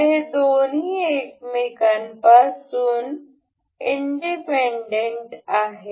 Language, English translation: Marathi, So, both of these are independent of each other